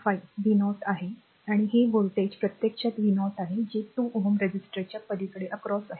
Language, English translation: Marathi, 5 v 0, and this voltage actually is v 0 that is the across 2 ohm resistor